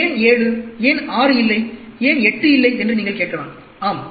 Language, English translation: Tamil, You may ask, why 7, why not 6, why not 8, yes